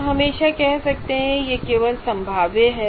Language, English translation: Hindi, So you can always say it is only probabilistic